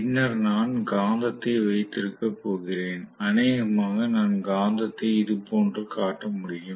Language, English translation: Tamil, And then I am going to have the magnet, probably I can show the magnet somewhat like this